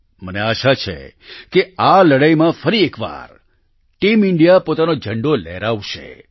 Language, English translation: Gujarati, I hope that once again Team India will keep the flag flying high in this fight